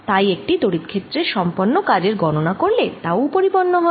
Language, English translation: Bengali, so if i calculate the work done in that electric field, that work done can also superimposed